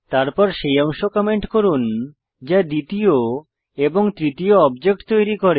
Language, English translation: Bengali, Then Comment the part which creates the second and third objects